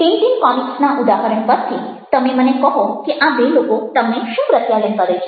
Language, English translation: Gujarati, even an example from the tin tin comics: you tell me, what do these two people convey to you